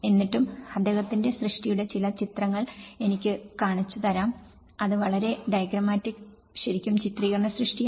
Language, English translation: Malayalam, But still, I could show you some images of what his work and it was very diagrammatic and really illustrative work